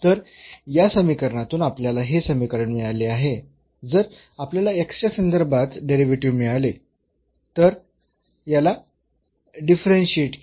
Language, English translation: Marathi, So, we have won this equation out of this equation if we get the derivative with respect to x, if we differentiate this one